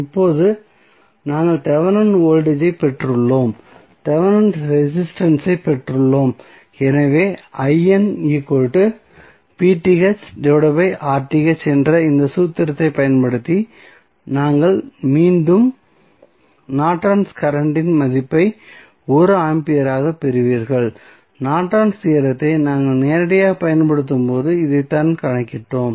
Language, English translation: Tamil, Now, we have got the Thevenin voltage, we have got the Thevenin resistance so using this formula I N is nothing but V Th upon R Th you get again the value of Norton's current as 1 ampere and this is what we calculated when we directly applied the Norton's theorem